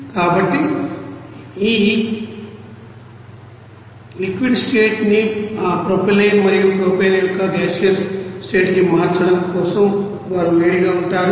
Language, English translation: Telugu, So, for that what would be heat they are to converting these you know liquid state to gaseous state of that propylene and propane